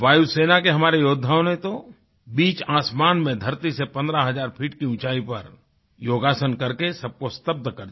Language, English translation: Hindi, Our air warriors astounded everyone by performing yogasans in mid sky, some 15 thousand feet above the earth